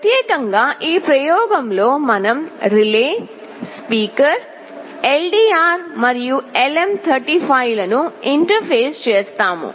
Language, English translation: Telugu, Specifically in this experiment we will be interfacing a relay, a speaker, a LDR and LM35